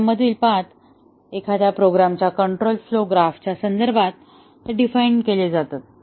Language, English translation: Marathi, The paths in a program are defined with respect to the control flow graph of a program